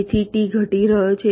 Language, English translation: Gujarati, so t is decreasing